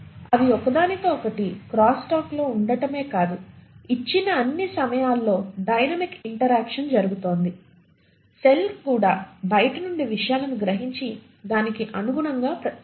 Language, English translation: Telugu, Not only are they in crosstalk with each other and there is a dynamic interaction happening at all given points of time, the cell is also sensing things from outside and accordingly responding